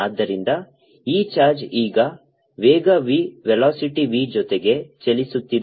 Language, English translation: Kannada, so this charge now is moving with speed b, with velocity v